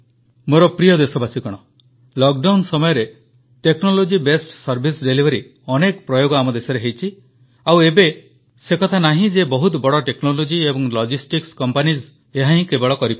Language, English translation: Odia, During the lockdown, many instances of technology based service delivery were explored in the country and it is not that only the big technology and logistic companies are capable of the same